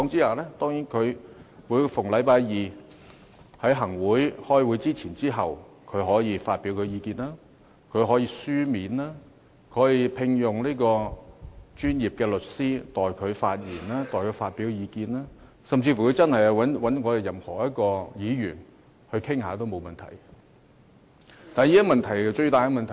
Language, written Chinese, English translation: Cantonese, 舉例而言，他可以逢星期二在行政會議開會前或開會後發表意見；他可以書面發表意見；他可以聘用專業律師代他發言或發表意見；他甚至可以找我們任何一位議員傾談，這沒有問題。, For instance he can express his views before or after the Executive Council meeting each Tuesday . He can also submit his views in writing or engage a professional lawyer to speak or express views on his behalf . He can even talk to any Member of the Legislative Council